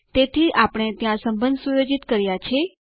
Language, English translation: Gujarati, So there, we have set up one relationship